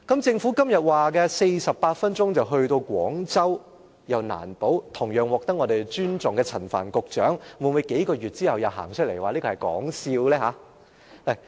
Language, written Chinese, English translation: Cantonese, 政府今天說48分鐘到達廣州，又難保同樣獲得尊重的陳帆局長，會否在數個月後又走出來說這個其實是說笑？, The Government now says it will take only 48 minutes to travel from West Kowloon Station to Guangzhou . But only God knows whether the equally respectable Secretary Frank CHAN will say a few months later that this is just a joke